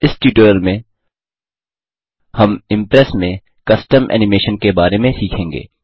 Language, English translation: Hindi, In this tutorial we will learn about Custom Animation in Impress